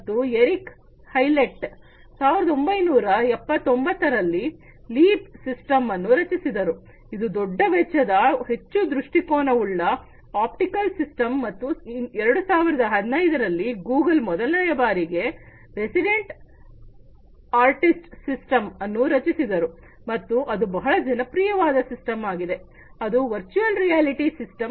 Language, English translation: Kannada, And Eric Howlett, in 1979 created the leap system, which is the large expense, extra perspective, optical system, and in 2015, Google created the first ever resident artist system and that is a quite popular system, it is a virtual reality system